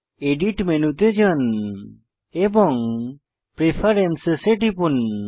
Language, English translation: Bengali, Go to Edit menu, navigate to Preferences and click on it